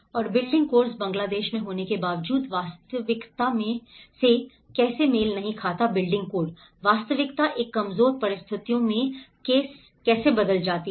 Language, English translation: Hindi, And how the building course doesnít match with the reality in Bangladesh despite of having the building codes, how the reality turns into a vulnerable situations